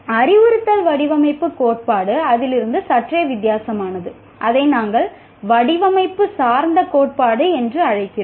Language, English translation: Tamil, Whereas instructional design theory is somewhat different from that, it is what we call design oriented theory